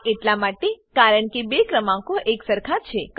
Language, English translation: Gujarati, This is because the two numbers are equal